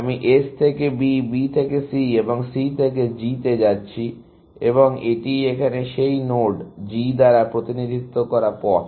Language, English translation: Bengali, I am going from S to B, B to C and C to G, and that is the path represented by this node G here; S to B, B to C and B to G